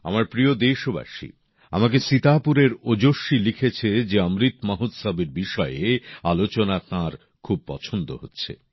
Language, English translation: Bengali, Ojaswi from Sitapur has written to me that he enjoys discussions touching upon the Amrit Mahotsav, a lot